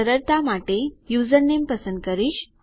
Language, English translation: Gujarati, I will select username for simplicity